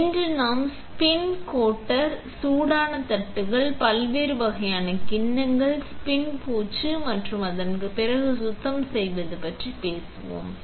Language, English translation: Tamil, Today, we will be talking about the spin coater itself, the hot plates, different types of bowl sets, how to do the spin coating and the cleaning afterwards